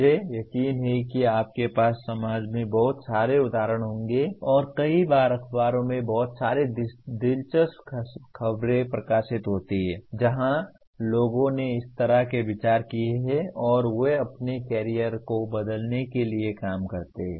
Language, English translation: Hindi, I am sure you will have plenty of examples in the society and many times lots of interesting reports are published in the newspapers where people have taken such considered stand and they change their careers to work like that